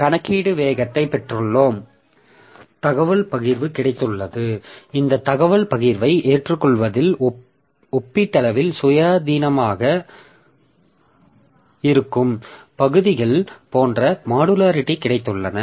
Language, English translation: Tamil, So, we have got computational speed up, we have got information sharing, we have got modularity also like maybe the portions which are relatively independent accepting this information sharing